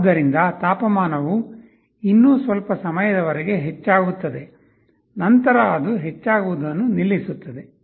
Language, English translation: Kannada, So, temperature will still increase for some time then it will stop increasing any further